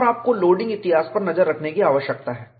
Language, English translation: Hindi, You have to keep track of the loading history